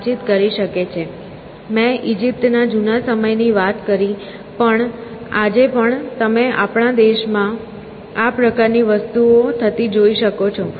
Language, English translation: Gujarati, So, I said older times Egypt, but even today you can find in our country this sort of a thing happening